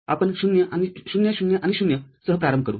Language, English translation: Marathi, We start with say 0, 0 and 0